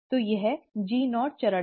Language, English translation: Hindi, So, this is the G0 phase